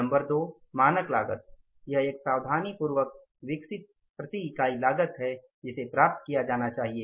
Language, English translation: Hindi, Number two, a standard cost is carefully developed a cost per unit that should be attained